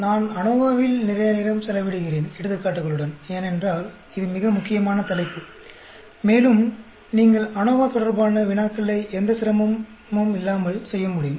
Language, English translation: Tamil, I am spending lot of time on ANOVA, with examples, because that is a very, very important topic, and you should be able to do problems related to ANOVA without any difficulty